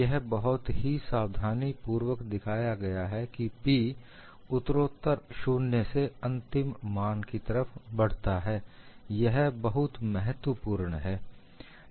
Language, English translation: Hindi, It is very carefully shown that P varies gradually from 0 to the final value, this is very important